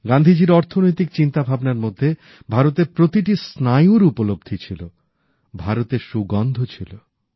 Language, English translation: Bengali, Gandhiji's economic vision understood the pulse of the country and had the fragrance of India in them